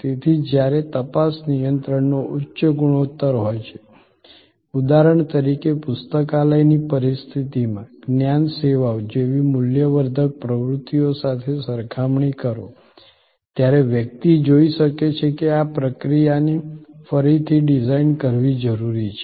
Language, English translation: Gujarati, So, when there is high ratio of checking control for example, in the library situation with respect to, compare to value adding activities like knowledge services, one can see that the process redesign is necessary